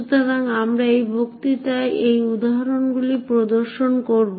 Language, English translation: Bengali, So we will demonstrate these examples in this lecture